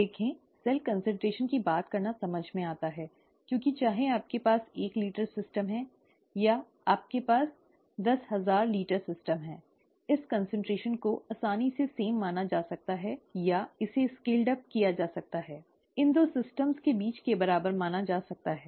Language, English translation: Hindi, Cell, see cell , talking of cell concentration makes sense, okay, because whether you have a one litre system, or whether you have a ten thousand litre system, this concentration can easily be considered the same or can be scaled up, can be considered to be equal in between these two systems